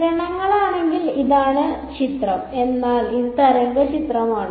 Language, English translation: Malayalam, If it were rays then this is the picture, but this is the wave picture